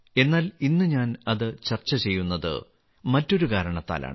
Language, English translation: Malayalam, But today I am discussing him for some other reason